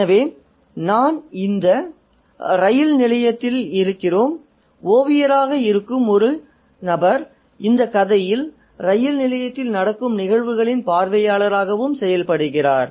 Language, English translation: Tamil, So, we are in this railway station and this narrator who is a painter acts as a spectator of the events on the railway station